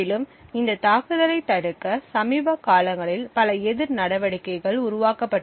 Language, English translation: Tamil, Also, there have been many countermeasures that have been developed in the recent past to prevent this attack